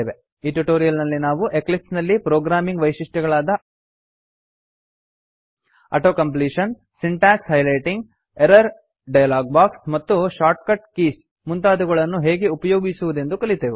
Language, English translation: Kannada, In this tutorial, we have learnt how to use programming features of Eclipse such as Auto completion, Syntax highlighting, Error dialog box, and Shortcut keys